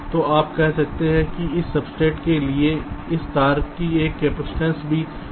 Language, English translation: Hindi, so you can say that there is also a capacitance of this wire to this substrate